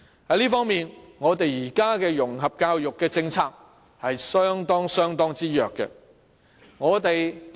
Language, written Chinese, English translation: Cantonese, 在這方面，我們現時的融合教育政策是非常弱的。, In this regard we consider the existing policy of integration education is rather meagre